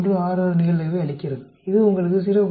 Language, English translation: Tamil, 166; it gives you a probability of 0